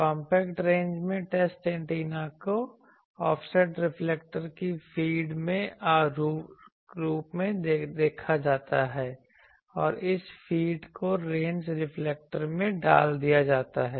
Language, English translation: Hindi, In compact range what the, it is run the test antenna is put as a feed of an offset reflector and this feed is put to a range reflector